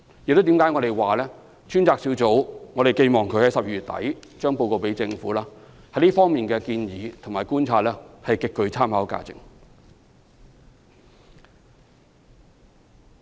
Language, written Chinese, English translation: Cantonese, 所以我們認為，專責小組於12月底向政府提交的報告，在這方面的建議和觀察將極具參考價值。, Therefore the relevant recommendations and observations in the Task Forces report to be submitted to the Government at the end of December are believed to have extremely high reference value